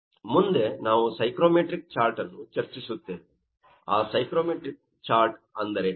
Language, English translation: Kannada, Next, we will discuss the psychometric chart, what is that psychometric chart